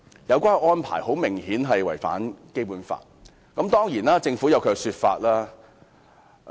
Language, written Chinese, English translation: Cantonese, 有關安排明顯違反《基本法》，但政府當然有其說法。, This arrangement is obviously in contravention of the Basic Law but the Government certainly has its explanation